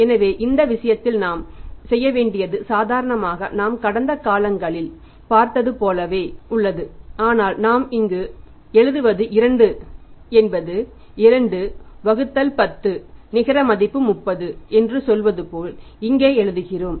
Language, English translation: Tamil, So, in this case what we have to do is normally as we have seen in the past also but me write here is to buy variety like say to whiten 2 by 10 net 30 this way the credit terms are written 2 by 10 net 30